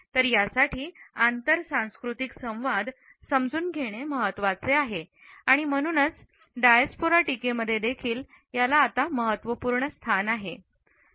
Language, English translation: Marathi, It is important to understand the inter cultural communication and that is why it is also given an important place now in the Diaspora criticism